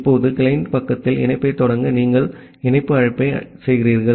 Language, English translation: Tamil, Now, you are making a connect call to initiate the connection at the client side